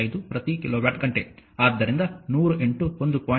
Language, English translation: Kannada, 5 per kilowatt hour so, 500 into 2